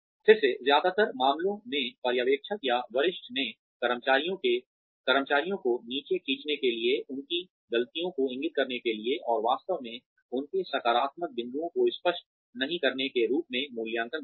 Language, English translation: Hindi, Again, in most cases, supervisors or superiors see, appraisals as a way, to pull down the employees, to point out their mistakes, and not really appraise their positive points